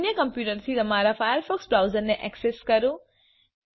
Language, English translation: Gujarati, Access your firefox browser from another computer